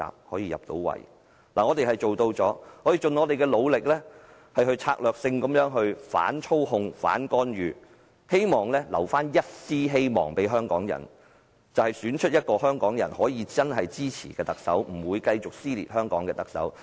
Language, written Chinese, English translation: Cantonese, 我們做到了，我們已盡力策略性地反操控、反干預，希望為香港人留下一絲希望，就是選出一名香港人真正支持並不會繼續撕裂香港的特首。, We did it . We have done our best to strategically fight against manipulation and intervention hoping to offer a glimmer of hope for Hong Kong people that the candidate who is genuinely supported by Hong Kong people and will not continue to tear Hong Kong apart will be elected as the Chief Executive In less than 70 hours the election will be held